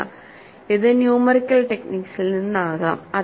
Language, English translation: Malayalam, No, it might come from numerical basis